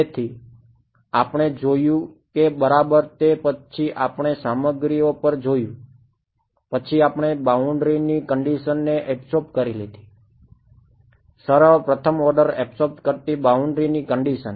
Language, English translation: Gujarati, So, we saw that exactly then after that we looked at materials are done, then we looked at absorbing boundary conditions; simple first order absorbing boundary condition right so, absorbing